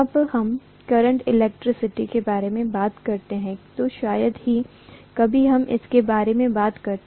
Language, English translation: Hindi, Hardly ever we talk about it when we talk about current electricity